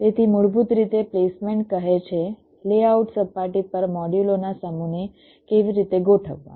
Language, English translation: Gujarati, so essentially, placement says how to arrange set of modules on the layout surface